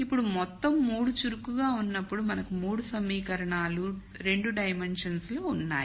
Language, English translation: Telugu, Now when all 3 are active then we have 3 equations in 2 dimensions right